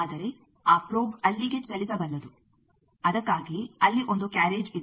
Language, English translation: Kannada, But that probe that can move over there that is why there is a carriage